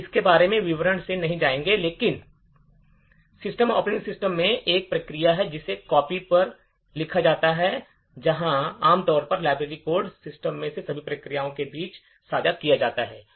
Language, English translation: Hindi, We will not go into the details about this but in operating systems there is a process called copy on write, where typically library codes are all shared between all processes in the system